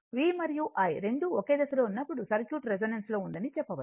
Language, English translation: Telugu, When V and I both are in phase a circuit can be said that is in resonance right